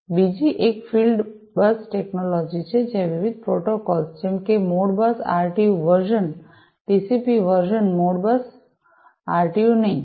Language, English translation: Gujarati, The other one is the field bus technology, where different protocols such as the Modbus RTU version, not the TCP version Modbus RTU